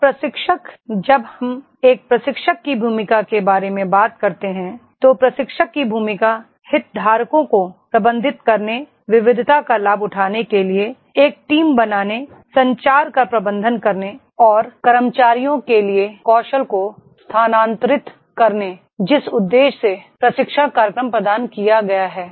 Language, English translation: Hindi, So the trainer, when we talk about the role of a trainer, role of a trainer is to manage the stakeholders, build a team to leverage the diversity, manage communication and transfer the skills for the employees for the purpose the training program has been provided